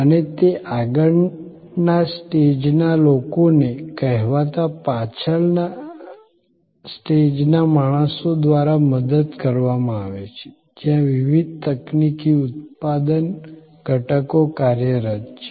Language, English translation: Gujarati, And that front stage is served by the so called back stage, where the different technical production elements are operating